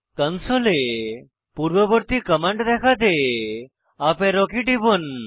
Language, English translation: Bengali, To display the previous command on the console, press up arrow key on the keyboard